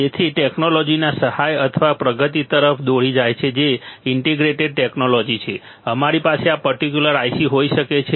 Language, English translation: Gujarati, So, leading to adventment or advancement of the technology which is integrated technology, we could have this particular IC ok